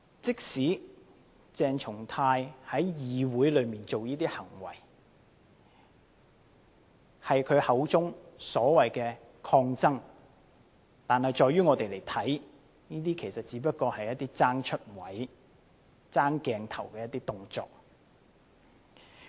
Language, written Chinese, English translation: Cantonese, 即使鄭松泰議員在議會作出這些行為是他口中所謂的"抗爭"，但在於我們看來，這些只不過是爭"出位"、爭鏡頭的動作。, Even though Dr CHENG Chung - tai has termed such acts as the so - called resistance but to us these are nothing but acts committed to capture the limelight and attract media attention